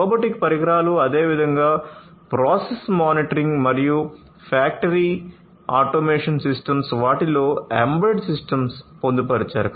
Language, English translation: Telugu, Robotic equipments likewise process monitoring and factory automation systems, all of these have embedded systems in them